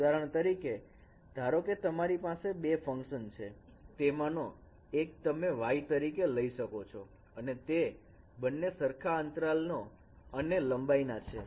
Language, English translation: Gujarati, For example you take this case that you have two functions one of them you can consider as impulse response, say y, and both of them of same period